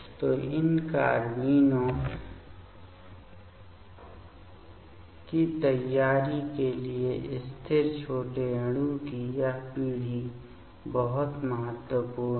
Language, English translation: Hindi, So, this generation of the stable small molecule is very important for preparation of these carbenes